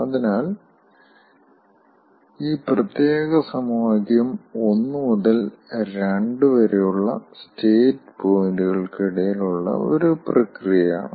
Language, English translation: Malayalam, so this particular equation is for a process between state points one to two